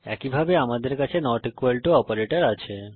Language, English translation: Bengali, Similarly, we have the not equal to operator